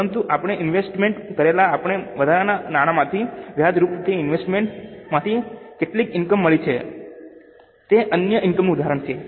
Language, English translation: Gujarati, But from our surplus money we invested, we got some income from that investment in the form of interest, then it is an example of other income